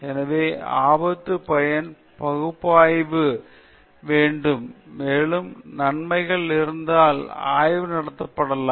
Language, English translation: Tamil, So, there should be a risk benefit analysis done, and if the benefits are more the study can be conducted